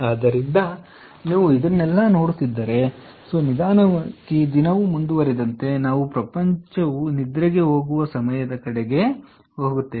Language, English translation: Kannada, so therefore, you see all this and then, slowly, you will see that the electricity demand goes down as the day progresses, as we goes towards the time when, when the world goes to sleep